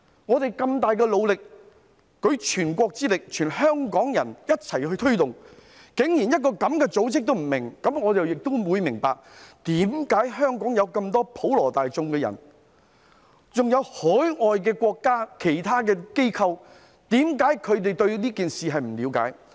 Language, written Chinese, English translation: Cantonese, 我們付出萬分努力，舉全國之力，全香港人一起推動，竟然連這樣的一個組織也不明白，於是我了解到為何香港普羅大眾，以至海外國家的其他機構也不了解這件事。, We expended Herculean efforts with nationwide input and all Hongkongers pitched in . And yet even such an organization did not understand it . I can then see why the general public in Hong Kong and other overseas organizations do not understand this matter neither